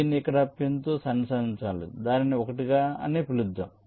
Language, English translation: Telugu, this has to be connected to a pin here, lets call it one